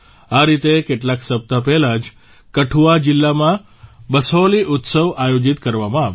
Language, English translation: Gujarati, Similarly, 'BasohliUtsav' was organized in Kathua district a few weeks ago